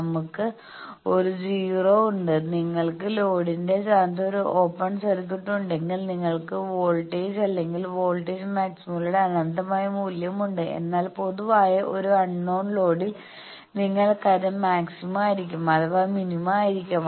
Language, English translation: Malayalam, We have a 0, if you have an open circuit at the position of the load you have an infinite value of volt or voltage maxima, but in an unknown load in general load you have something it may be maxima, may be minima